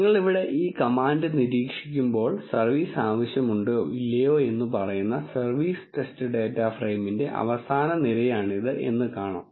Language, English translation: Malayalam, And when you observe this command here, this is the last column of the service test data frame which says the true labels of whether the service is needed or not